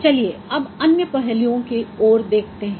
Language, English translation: Hindi, Let us now consider other aspects